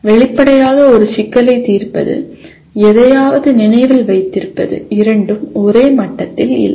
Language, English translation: Tamil, Obviously solving a problem, remembering something is not at the same level